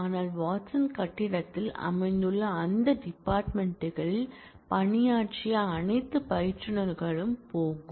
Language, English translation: Tamil, So, all instructors who worked on those departments which are located in the Watson building that will go